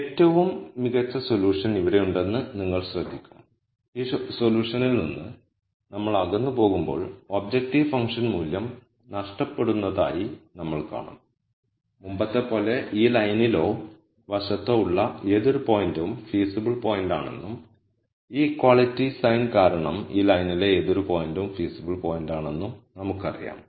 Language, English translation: Malayalam, You will notice that again we know the best solution is here and as we move away from this solution, we will see that we are losing out on the objective function value and as before we know any point on this line or to the side is a feasible point and any point on this line is also feasible because of this equality sign